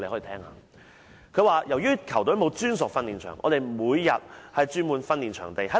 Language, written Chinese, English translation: Cantonese, 他說："由於球隊沒有專屬訓練場，我們每天須轉換訓練場地。, He said Our football team does not have a dedicated pitch for training . We thus have to change to a different football pitch for training every day